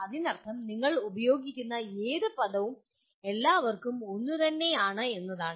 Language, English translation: Malayalam, That means any word that you use it means the same for all